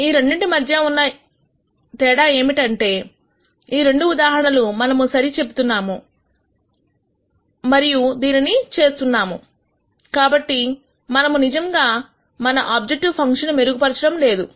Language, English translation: Telugu, The logic between these two are that in this case we are saying well we are doing this, but we are not really improving our objective function